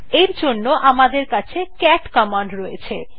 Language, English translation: Bengali, For this we have the cat command